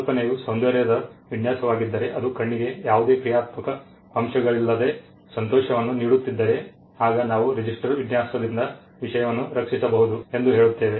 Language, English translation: Kannada, If the idea is an aesthetic design a design that pleases the eye with no functional component to it, it is just that it pleases the eye then we say that subject matter can be protected by a register design